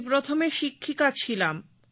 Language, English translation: Bengali, Earlier, I was a teacher